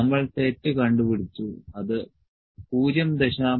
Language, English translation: Malayalam, We founded typo, it is 0